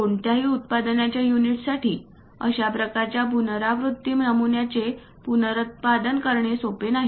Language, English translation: Marathi, It might not be easy for any manufacturing unit to reproduce such kind of repeated patterns